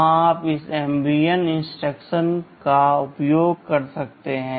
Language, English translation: Hindi, There you can use this MVN instruction